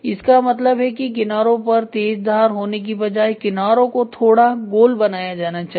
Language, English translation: Hindi, That means, to say rather than having a sharp edge you try to have something like a rounded of edge